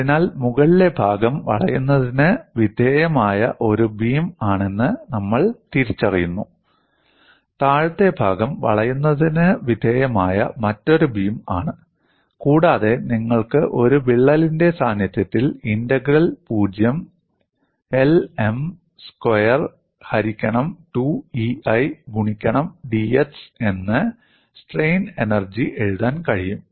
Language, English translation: Malayalam, So, what we recognize is the top portion is a beam subjected to bending, the bottom portion is another beam subjected to bending, and you can write the strain energy in the presence of a crack as integral 0 to L M square by 2 E I into dx, the whole thing multiplied by a factor 2 because we are look at the top beam as well as the bottom beam